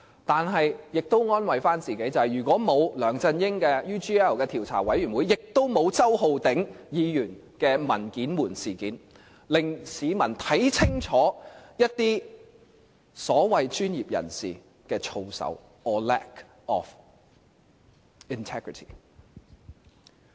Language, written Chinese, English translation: Cantonese, 但我們也可以安慰自己，如果沒有梁振英的 UGL 調查委員會，也就沒有周浩鼎議員的"文件門"事件，令市民看清楚一些所謂專業人士的操守 or lack of integrity。, But we can likewise comfort ourselves by saying that without the Select Committee to inquire into the UGL incident involving LEUNG Chun - ying the editing scandal involving Mr Holden CHOW would not have happened and the public would not have been able to see clearly for themselves the low level of moral ethics among those so - called professionals or their lack of integrity . Mr Paul TSE dismissed me as a cunning barrister